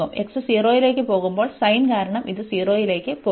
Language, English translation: Malayalam, And when x goes to 0, because of the sin this will go to 0